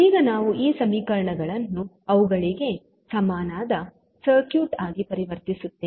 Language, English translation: Kannada, We will convert these equations into an equivalent circuit